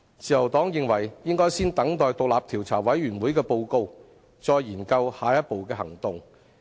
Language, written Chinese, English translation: Cantonese, 自由黨認為應該先等待調查委員會的報告，再研究下一步的行動。, The Liberal Party believes that we should wait for the report of the Commission of Inquiry before considering our next move